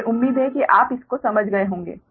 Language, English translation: Hindi, hope this you have understood